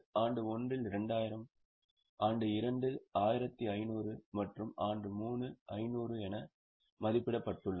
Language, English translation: Tamil, In year 1,000, year 2,000, year 2,000, 1,500 and year 3 500